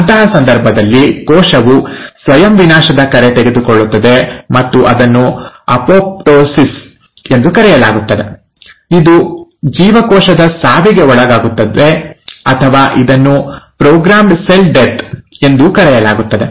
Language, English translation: Kannada, In such a case, the cell itself takes a call of self destruction and that is called as ‘apoptosis’, it undergoes cell death, or it is also called as programmed cell death